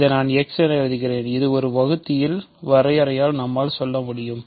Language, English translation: Tamil, So, let me just write this as x, by definition of a divisor I have this